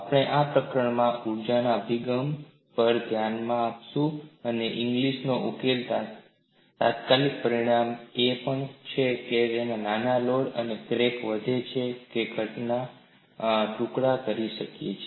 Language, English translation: Gujarati, In this chapter, we would look at the energy approach and immediate consequence of Inglis solution is even for a small load the crack may grow and break the component into pieces